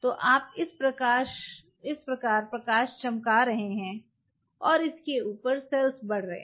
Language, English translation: Hindi, So, this is how your shining the light and the cells are growing on top of it